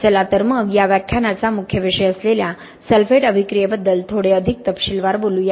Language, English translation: Marathi, So let us talk in a little bit more detail about sulphate attack which is the main topic of this lecture